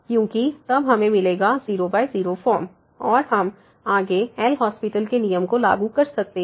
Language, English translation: Hindi, Because then we will get by form and we can further apply the L’Hospital’s rule